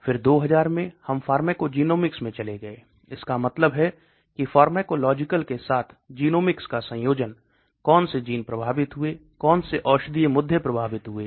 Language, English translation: Hindi, Then in the 2000 we went into pharmacogenomics, that means combining genomics with pharmacological, so which genes affected, which pharmacological issues